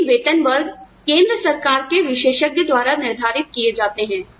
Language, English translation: Hindi, But the pay brackets, are decided by the central government, by experts in the central government